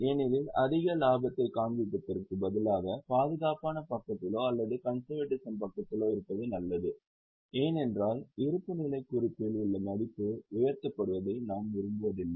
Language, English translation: Tamil, Because instead of showing excessive value, it is better to be on a safer side or on the conservative side because we do not want the value in the balance sheet to be inflated